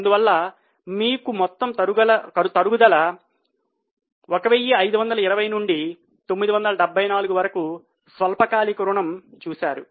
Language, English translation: Telugu, That is why you can see here total reduction is 1520 of that 974 is now a short term borrowing